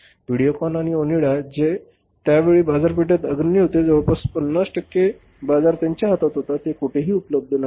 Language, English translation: Marathi, VideoCon and Onida who were the leaders in the market at that time having almost 50% half of the market in their hands they are nowhere in existence